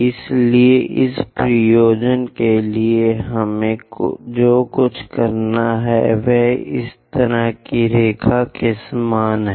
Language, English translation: Hindi, So, further purpose what we have to do is draw something like such kind of line